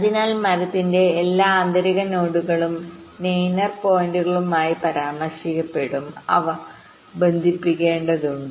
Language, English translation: Malayalam, so all the internal nodes of the tree will be referred to as steiner points